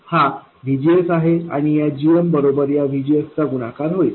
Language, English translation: Marathi, This is VGS and this GM multiplies this VGS